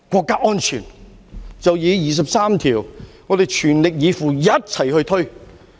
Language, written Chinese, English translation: Cantonese, 對於第二十三條，我們便是要全力以赴，一起去推。, As for Article 23 we have to put all our efforts together to take forward the legislation